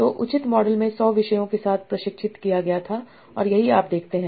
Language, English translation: Hindi, So for this collection of science papers so a topic model was trained with 100 topics and this is what you see